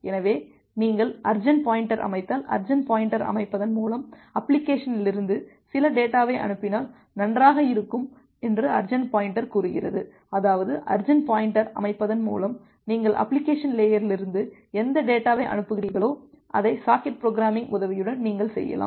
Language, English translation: Tamil, So, if you set the urgent pointer, the urgent pointer says that well if you are sending some data from the application by setting the urgent pointer; that means, whatever data you are sending from the application layer by setting the urgent pointer, you can do that with the help of socket programming, we will look into that